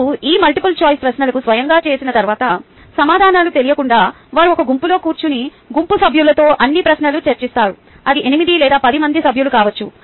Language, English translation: Telugu, once they have done these ah um multiple choice questions on their own, without knowing the answers, they then sit in a group and discuss all the questions with the group members, be it eight or ten members